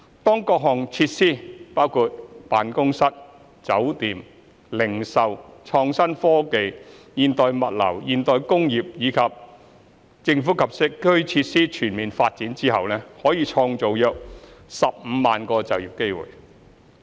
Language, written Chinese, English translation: Cantonese, 當各項設施，包括辦公室、酒店、零售、創新科技、現代物流、現代工業，以及"政府、機構及社區"設施全面發展後，可創造約15萬個就業機會。, Upon the full development of various facilities including office hotel retail innovation and technology modern logistics modern industry and Government Institution and Community facilities some 150 000 job opportunities will be created